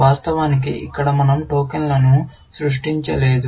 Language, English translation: Telugu, Of course, here, we have not created the tokens